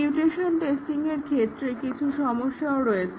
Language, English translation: Bengali, There are some problems with mutation testing